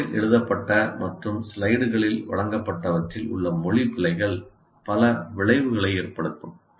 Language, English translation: Tamil, And language errors in what is written on the board and presented in the slides can have multiplying effects